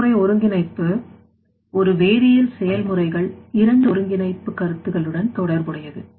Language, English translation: Tamil, Process integration is concerned with two integration concepts within a chemical process